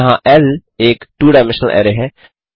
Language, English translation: Hindi, L here, is a two dimensional array